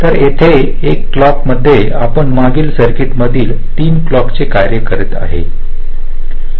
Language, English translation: Marathi, so here in one clock we are doing the task of three clocks in the previous circuit